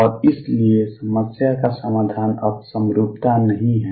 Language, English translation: Hindi, And therefore, the solution is not symmetry now to the problem